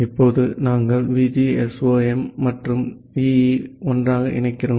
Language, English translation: Tamil, So, we are combining VGSOM and EE together